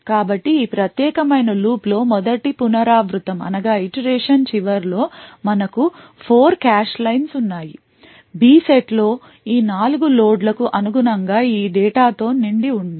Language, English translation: Telugu, So, at the end of the first iteration of this particular while loop we have all the 4 cache lines in the B set filled with this data corresponding to these four loads